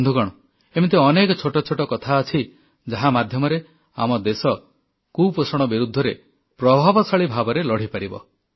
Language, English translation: Odia, My Friends, there are many little things that can be employed in our country's effective fight against malnutrition